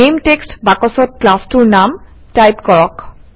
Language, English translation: Assamese, In the Name text box, type the name of the class